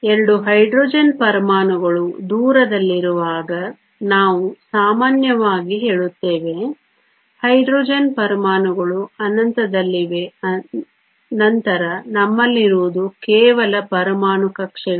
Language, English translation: Kannada, When the 2 Hydrogen atoms are far apart typically we say that the Hydrogen atoms are at infinity then what we have is simply the atomic orbitals